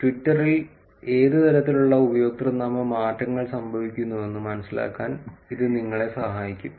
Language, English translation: Malayalam, That would help you to understand what kind of username changes are happening on Twitter